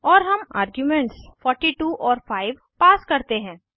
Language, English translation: Hindi, And we pass 42 and 5 as arguments